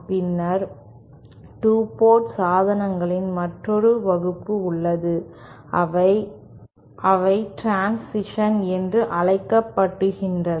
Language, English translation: Tamil, Then there is another class of 2 port devices that are known as transitions